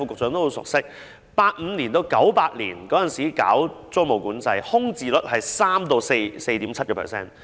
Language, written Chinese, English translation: Cantonese, 在1985年至1998年實施租務管制時，空置率為 3% 至 4.7%。, From 1985 to 1998 when tenancy control was in place the vacancy rate was 3 % to 4.7 %